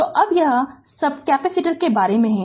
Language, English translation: Hindi, So, now this is this is all about capacitor